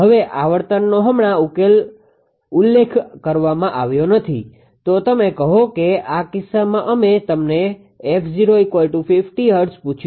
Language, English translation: Gujarati, Now, your ah frequency frequency is not mentioned right then you ask say in this case we have ask you f 0 equal to 50 hertz